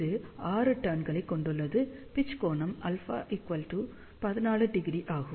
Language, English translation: Tamil, It has 6 turns pitch angle is alpha equal to 14 degree